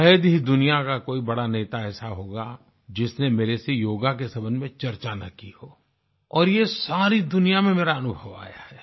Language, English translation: Hindi, There must hardly be a major world leader who has not discussed yoga with me and this has been my experience all over the world